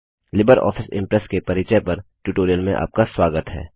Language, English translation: Hindi, Welcome to the tutorial on Introduction to LibreOffice Impress